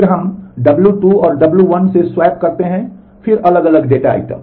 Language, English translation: Hindi, Then we swap w 1 with w 2 again different data items